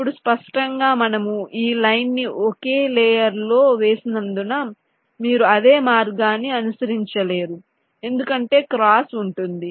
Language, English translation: Telugu, now, obviously, since we have laid out this line on the same layer, you cannot follow the same route because there would be cross